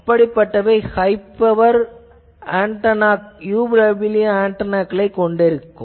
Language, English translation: Tamil, Now, first we will see the high power UWB antennas